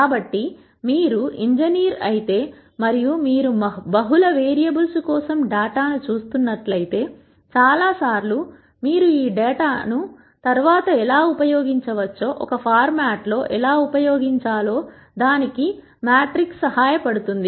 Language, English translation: Telugu, So, if you are an engineer and you are looking at data for multiple variables, at multiple times, how do you put this data together in a format that can be used later, is what a matrix is helpful for